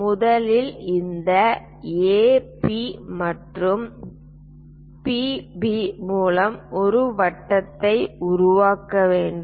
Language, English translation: Tamil, What we have to do is first of all construct a circle through this AP and PB